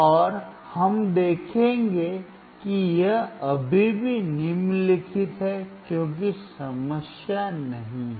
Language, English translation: Hindi, And we will see that it is still following there is no problem